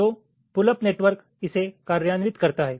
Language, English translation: Hindi, so the pull up networks implements this